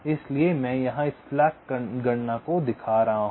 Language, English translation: Hindi, so i am showing this slack computation here now